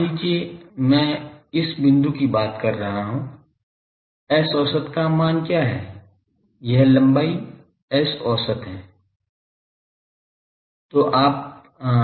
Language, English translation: Hindi, Suppose, I am talking of this point, what is the value of S average this length is S average